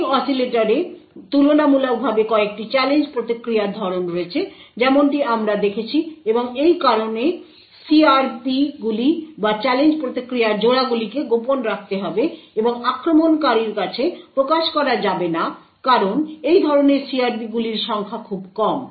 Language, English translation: Bengali, There are comparatively few challenge response patterns as we have seen in the ring oscillator and because of this reason the CRPs or the Challenge Response Pairs have to be kept secret and cannot be exposed to the attacker because the number of such CRPs are very less